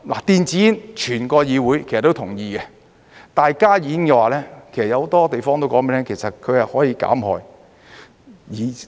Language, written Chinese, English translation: Cantonese, 電子煙，整個議會其實都同意，但加熱煙的話，其實有很多地方都告訴你們，其實它是可以減害。, In fact the entire legislature agrees to ban e - cigarettes . But in the case of HTPs many parties have in fact told you that they can actually reduce the harm